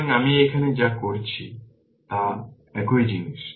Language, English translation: Bengali, So, what I have done it here same thing